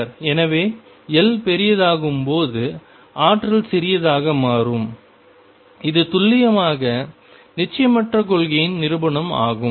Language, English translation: Tamil, So, as L becomes larger the energy becomes smaller, this is precisely a demonstration of uncertainty principle